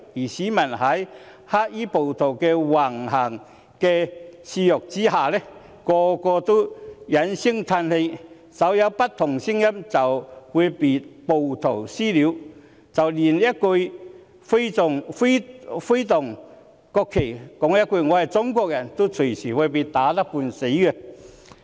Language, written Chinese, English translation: Cantonese, 市民在黑衣暴徒的肆虐橫行下，個個都哀聲嘆氣，稍有不同聲音便會被暴徒"私了"，即使連揮動國旗，說一句"我是中國人"，也隨時會被打得半死。, As these black - clad rioters have run amok members of the public have all lamented bitterly . Anyone with a slightly differing voice would be subject to vigilante attacks . Even if one waves the national flag and says that I am Chinese he would likely be beaten to half death